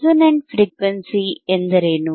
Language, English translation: Kannada, What is the resonant frequency